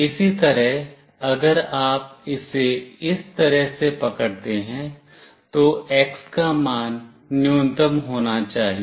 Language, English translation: Hindi, Similarly if you hold it like this, value of X should be minimum